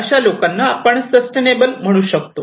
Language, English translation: Marathi, Then, we call it as sustainable